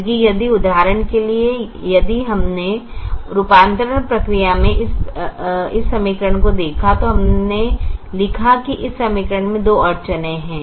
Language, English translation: Hindi, this is also understandable because if, if we, for example, if we looked at this equation in the conversion process, we wrote these two, this equation, as two constraints